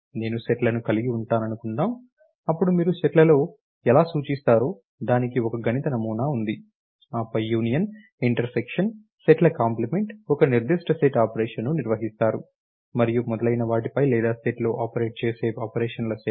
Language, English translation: Telugu, Suppose I have sets then I have a mathematical model has to how you represent the sets and then you perform a certain set of operation on sets your union, your intersection, your complement, and so on so forth or set of operations that operator on set so begin